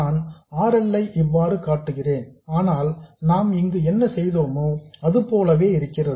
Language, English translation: Tamil, I will show RL like this but it is exactly the same as what you have here